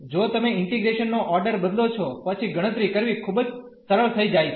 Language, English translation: Gujarati, If you change the order of integration then this will be much easier to compute